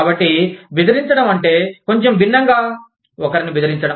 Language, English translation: Telugu, So, to intimidate means, to slightly different than, threatening somebody